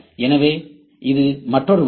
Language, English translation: Tamil, So, this is another way